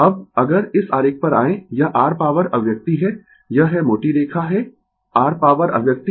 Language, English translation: Hindi, Now, if you come to this figure, this is your power expression, this is thick line is your power expression right